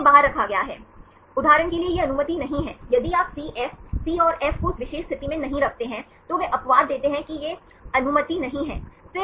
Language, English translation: Hindi, This is excluded, that this is not allowed for example, if you put CF, C and F should not be in that particular position, they give the exception that these are not allowed